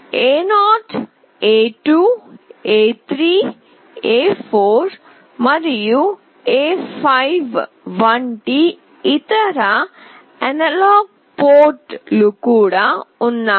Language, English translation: Telugu, There are other analog ports as well like A0, A2, A3, A4 and A5